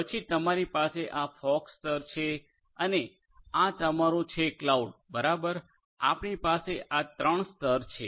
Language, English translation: Gujarati, Then you have this fog layer this fog layer and this is your cloud right so, we have these 3 tiers